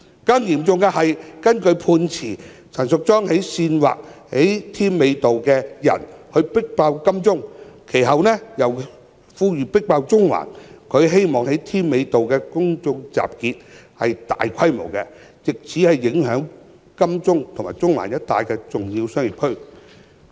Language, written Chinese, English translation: Cantonese, 更嚴重的是，根據判詞，陳淑莊議員煽惑在添華道上的人"迫爆金鐘"，其後再呼籲人群"迫爆中環"，她希望在添華道的公眾集結是大規模的，藉此影響金鐘及中環一帶的重要商業區。, What is more serious is that according to the judgment Ms Tanya CHAN incited the people at Tim Wa Avenue to over - cram Admiralty and then called upon the mass to over - cram Central in the hope of forming a large - scale public meeting at Tim Wa Avenue which could affect the major business districts of Admiralty and Central